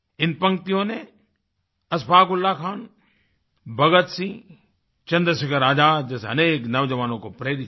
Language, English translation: Hindi, These lines inspired many young people like Ashfaq Ullah Khan, Bhagat Singh, Chandrashekhar Azad and many others